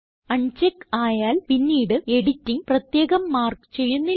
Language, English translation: Malayalam, When unchecked, any further editing will not be marked separately